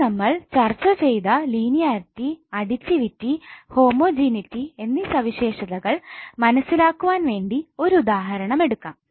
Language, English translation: Malayalam, Now let us take one example to understand the properties which we discussed like linearity and the additivity and homogeneity